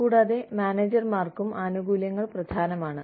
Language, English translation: Malayalam, And, benefits are important, to managers also